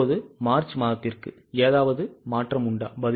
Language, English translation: Tamil, Now, for the month of March, is there any change